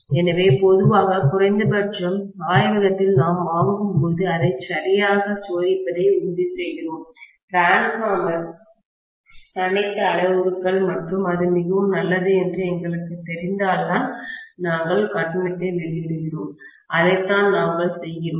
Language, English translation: Tamil, So, generally, at least in the laboratory when we buy, we make sure that we test it properly, all the parameters of the transformer and only when we know it is fairly good we release the payment, that is what we do